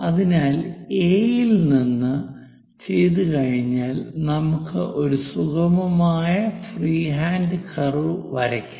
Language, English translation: Malayalam, So, once it is done from A, we we will draw a smooth freehand curve